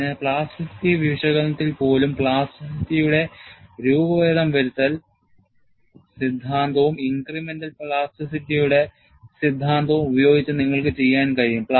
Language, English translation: Malayalam, Even in plasticity analysis, you can do by deformation theory of plasticity and incremental theory of plasticity